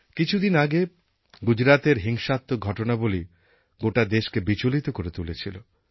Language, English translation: Bengali, In the past few days the events in Gujarat, the violence unsettled the entire country